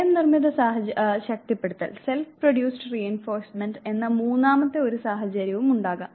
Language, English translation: Malayalam, There could be a third situation where there is self produced reinforcement